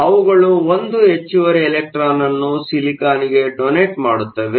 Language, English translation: Kannada, So, they donate the 1 extra electron to silicon